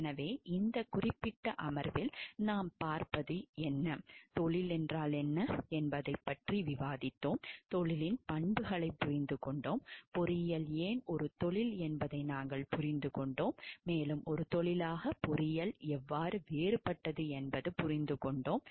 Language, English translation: Tamil, So, here what we see like in this particular session we have discussed about what is a profession, we have understood the attributes of profession, we have understood why engineering is a profession and we have understood how engineering as a profession is different from other professions